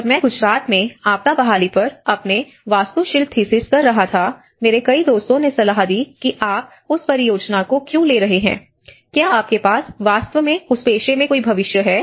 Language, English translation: Hindi, When I was doing my architectural thesis on disaster recovery in Gujarat, many of my friends advised why are you taking that project, do you really have a future in that profession